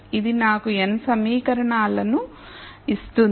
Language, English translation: Telugu, So, this will just give me n equations